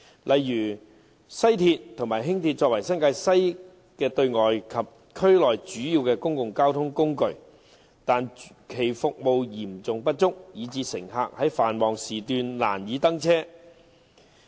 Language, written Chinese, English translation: Cantonese, 例如，西鐵和輕鐵作為新界西的對外及區內主要公共交通工具，但其服務嚴重不足，以致乘客在繁忙時段難以登車。, For instance the West Rail WR and Light Rail LR serve as the major external and internal modes of public transport for NWNT but the services provided by them are acutely inadequate making it difficult for passengers to get on board during peak hours